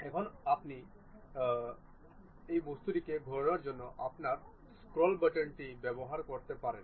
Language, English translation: Bengali, Now, still you can use your scroll button to really rotate the object also